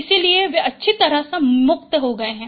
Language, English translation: Hindi, So they are well separated